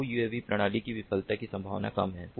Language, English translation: Hindi, in a multi uav system, the chances of failure are low